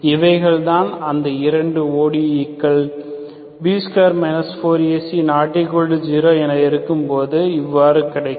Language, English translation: Tamil, These 2 are 2 different ODEs if B square 4 AC is nonzero, okay